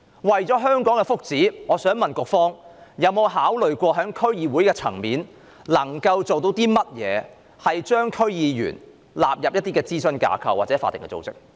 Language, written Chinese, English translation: Cantonese, 為了香港的福祉，我想問局方有否考慮可以在區議會層面做些甚麼，把區議員納入諮詢架構或法定組織？, For the well - being of Hong Kong I wish to ask whether the Bureau has considered what can be done at the DC level to incorporate DC members into the advisory framework or statutory bodies